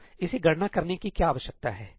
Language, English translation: Hindi, So, what does it need to compute this